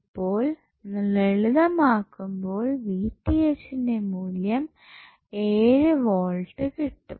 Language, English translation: Malayalam, So when you will simplify you will get the value of Vth as 7 volts